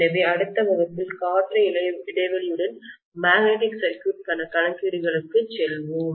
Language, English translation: Tamil, So we will go on to magnetic circuit calculations with air gap and so on in the next class